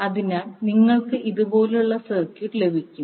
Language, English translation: Malayalam, So, you will get the circuit like this